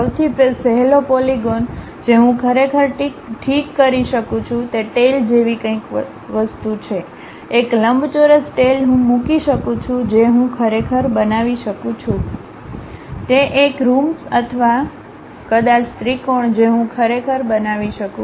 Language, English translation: Gujarati, The easiest polygon what I can really fix is something like a tail, a rectangular tail I can put maybe a rhombus I can really construct or perhaps a triangle I can really construct